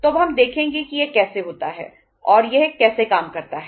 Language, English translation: Hindi, So now we will see that how it happens and how it works